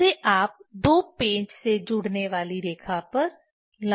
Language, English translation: Hindi, That you put perpendicular to the line joining the two screws